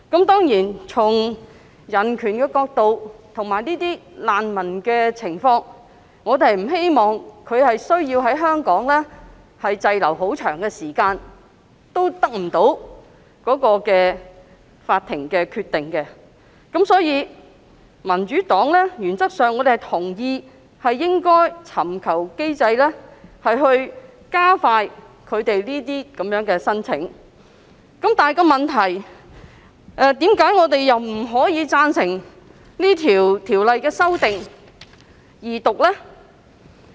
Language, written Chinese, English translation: Cantonese, 當然，從人權角度及難民的情況作考慮，我們不希望他們要長時間滯留香港等待法庭的決定，所以，民主黨原則上同意設立機制，以加快處理這些申請，但問題是......為何我們不贊成《條例草案》二讀呢？, Certainly considering from the perspective of human rights and the circumstances of the refugees we do not wish to see that they have to stay in Hong Kong for a long time to wait for the decision of the court . Therefore the Democratic Party agrees as a matter of principle that a mechanism should be established to speed up the handling of these applications but the problem is Why do we oppose the Second Reading of the Bill?